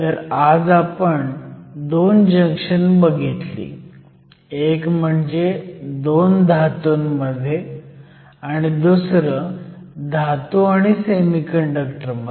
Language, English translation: Marathi, So, today we have seen 2 types of junctions; one between 2 metals and the other between a metal and a semiconductor